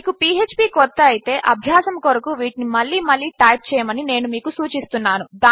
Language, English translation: Telugu, If you are new to php I would suggest that you type these out again and again just for practice